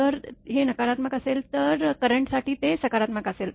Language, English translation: Marathi, If it this is negative then for current it will be positive